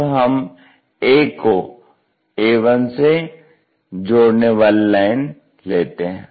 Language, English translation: Hindi, So, for example, this point A, goes connects to this A 1